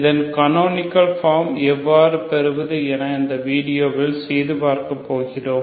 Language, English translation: Tamil, We will work out how to get its canonical form in this video ok